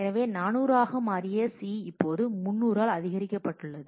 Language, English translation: Tamil, So, C which had become 400 is now incremented by 300